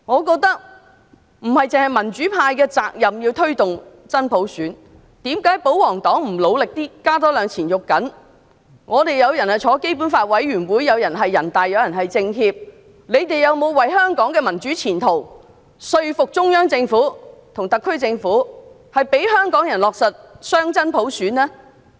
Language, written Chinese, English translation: Cantonese, 立法會當中有議員是香港特別行政區基本法委員會成員、有議員是人大常委會委員、有議員是政協委員，他們有否為香港的民主前途說服中央政府和特區政府，讓香港人落實雙真普選？, Some of us Legislative Council Members are members of the Committee for the Basic Law of the Hong Kong Special Administrative Region some are members of NPCSC and some are Hong Kong members of the National Committee of the Chinese Peoples Political Consultative Conference . For the sake of the future of democracy in Hong Kong have they ever attempted to convince the Central Government and the SAR Government so that Hong Kong people can implement genuine dual universal suffrage?